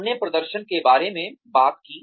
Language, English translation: Hindi, We talked about, appraising performance